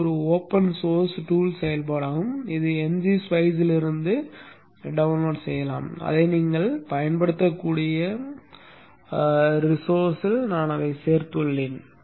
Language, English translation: Tamil, This is an open source tool function available from NG Spice which could have been downloaded but I have included it in the resource you can use it